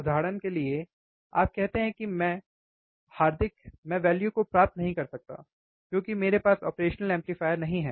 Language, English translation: Hindi, For example, you say that, Hardik, I cannot I cannot get the values, because I do not have the operational amplifiers